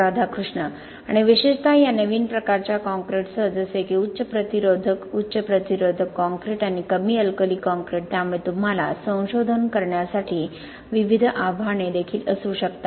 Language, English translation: Marathi, And especially with this new type of concretes, like high resistive, highly resistive concrete and low alkali concrete so you may have different challenges also to do research on I believe so